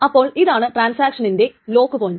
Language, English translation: Malayalam, So, this is called the lock point of a transaction